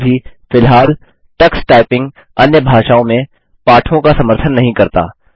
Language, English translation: Hindi, However, currently Tux Typing does not support lessons in other languages